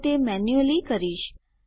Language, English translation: Gujarati, So Ill do it manually